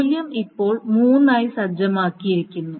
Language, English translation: Malayalam, So the value is now set back to three